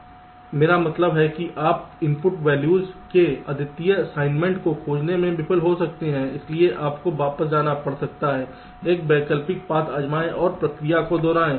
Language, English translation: Hindi, you are, i mean you may fail to find the unique assignment of the input values, so you may have to go back, try an alternate path and repeat the process